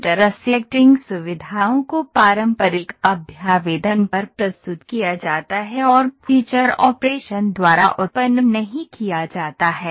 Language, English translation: Hindi, Intersecting features are represented on conventional representation and not generated by feature operation